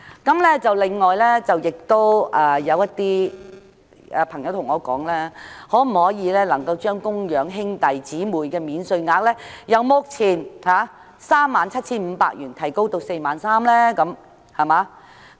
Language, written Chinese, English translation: Cantonese, 此外，亦有朋友問我政府可否將供養兄弟姊妹免稅額由目前的 37,500 元提升至 43,000 元。, In addition a friend asked me whether the Government could increase the dependent brother or dependent sister allowance from the current 37,500 to 43,000